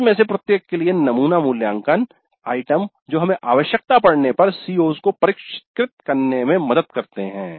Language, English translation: Hindi, Then sample assessment items for each one of the COs that helps us if required to define the COs